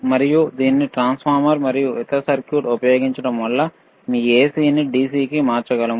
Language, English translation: Telugu, And using this transformer and the another circuit, we can convert your AC to DC